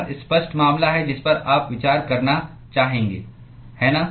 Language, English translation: Hindi, That is the obvious case that you would want to consider, right